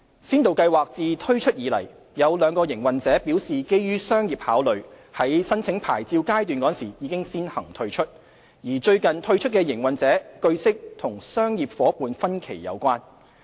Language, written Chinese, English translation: Cantonese, 先導計劃自推出以來，有兩個營運者表示基於商業考慮，在申領牌照階段時先行退出；而最近退出的營運者，據悉與商業夥伴分歧有關。, Since the launch of the Pilot Scheme two operators have withdrawn from the Scheme due to their own business considerations during the licence application process . As regards the operator who withdrew recently we understand that this is related to disagreement with his business partner